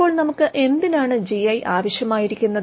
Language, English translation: Malayalam, Now, why do we need GI